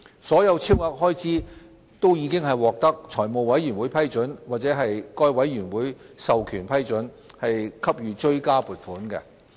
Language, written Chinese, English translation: Cantonese, 所有超額開支均已獲得財務委員會批准或該委員會授權批准，給予追加撥款。, Supplementary provision for all such excess expenditure was approved by the Finance Committee or under powers delegated by the Committee